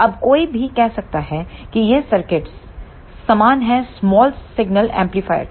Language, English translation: Hindi, Now, one may say that this circuit look similar to the small signal amplifier